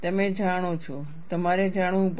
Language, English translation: Gujarati, You know, you will have to know